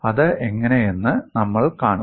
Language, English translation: Malayalam, You will see how it is